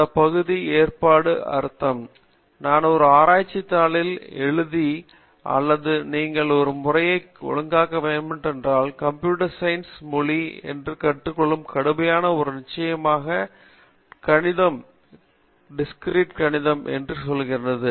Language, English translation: Tamil, What it means to organize that area, suppose I ask you to write a research paper or present something informally the idea should get organized and the way you can do is to basically learn the language of computer science and I strongly suggest that there is a course called Discrete Mathematics